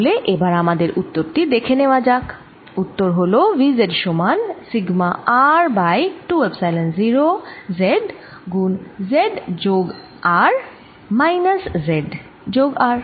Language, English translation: Bengali, this answer is: v z is equal to sigma r over two, epsilon zero z plus r minus modulus z minus r